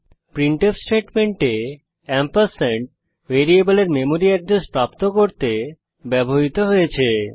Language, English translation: Bengali, In the printf statement ampersand is used for retrieving memory address of the variable